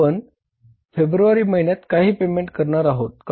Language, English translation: Marathi, And now say in the month of February are we going to pay for anything